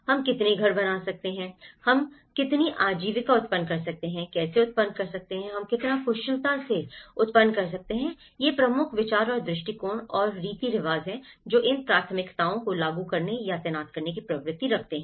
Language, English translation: Hindi, How many houses we can dwell, how many livelihoods we can generate, how to generate, how efficiently we can generate so, these are the prime considerations and attitudes and customs which tend to impede these priorities or deployed